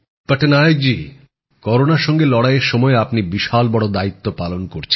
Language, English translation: Bengali, Patnaik ji, during the war against corona you are handling a big responsibility